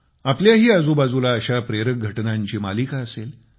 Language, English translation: Marathi, Your surroundings too must be full of such inspiring happenings